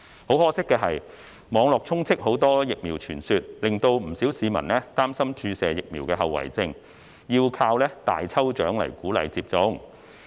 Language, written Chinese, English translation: Cantonese, 很可惜的是，網絡充斥很多疫苗傳說，令不少市民擔心注射疫苗的後遺症，要依靠大抽獎來鼓勵接種。, Unfortunately the Internet is flooded with rumours about the vaccines which aroused concerns about the after - effects of vaccination . As a result we had to encourage vaccination with a lucky draw